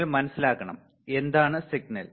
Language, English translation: Malayalam, You have to understand, what is the signal